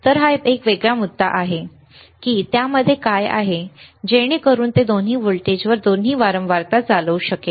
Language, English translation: Marathi, So, that is that is a separate issue that what is within it so that it can operate on both the voltages both the frequency